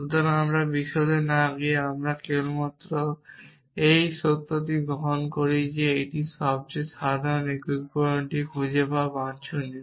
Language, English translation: Bengali, So, again without going into details we just accept the fact that it is desirable to find the most general unifier